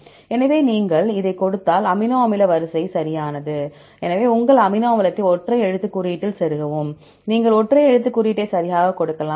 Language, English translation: Tamil, So, if you give this, your amino acid sequence right; so, the insert your amino acid in a the single letter code, right you can give single letter code right